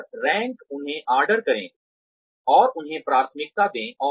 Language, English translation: Hindi, And, rank order them, and prioritize them